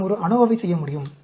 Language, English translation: Tamil, We can perform an ANOVA